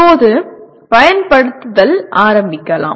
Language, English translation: Tamil, Now, let us start with Apply